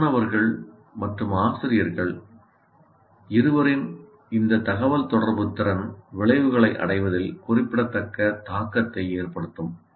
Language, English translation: Tamil, So this communicative competence of both students and teachers will have a great influence on the attainment of outcomes